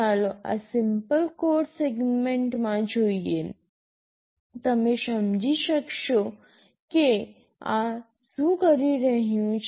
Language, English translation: Gujarati, Let us look at this simple code segment; you will understand what this is doing